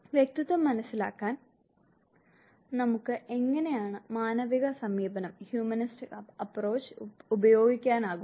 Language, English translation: Malayalam, How can we use humanistic approach to understand personality